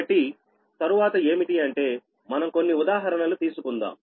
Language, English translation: Telugu, so next, next one: we will take few example right